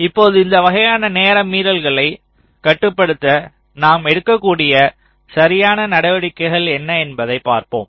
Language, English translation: Tamil, now here we shall be looking at what are the possible corrective steps we can take in order to control these kind of timing violations